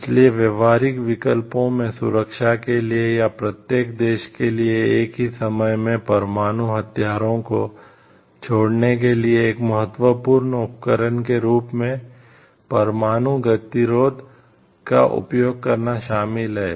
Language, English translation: Hindi, So, the options for actions include use nuclear deterrence as an important instrument for security, or to every country gives up the nuclear weapon at the same time